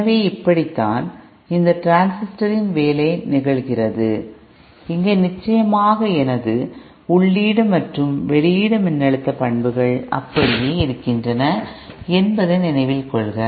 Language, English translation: Tamil, So this is how the working of this transistor happens, here of course note that my input and output voltage characteristics have remained the same